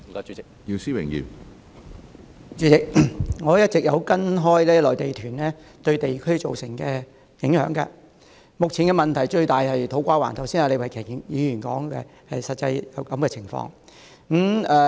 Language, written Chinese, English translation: Cantonese, 主席，我一直也有跟進內地團對地區造成的影響，目前最大問題的是土瓜灣，李慧琼議員剛才已說明有關的情況。, President I have all along been following up on the impacts posed by Mainland tour groups on districts . At present as elaborated by Ms Starry LEE just now To Kwa Wan is the district that suffers the most